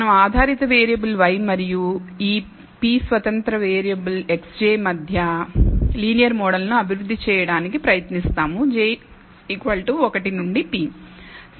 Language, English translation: Telugu, We will try to develop a linear model between the dependent variable y and these independent p independent variables x j, j equals 1 to p